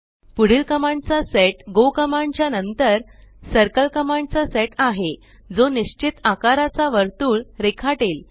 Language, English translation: Marathi, The next set of commands that is go commands followed by circle commands draw circles with the specified sizes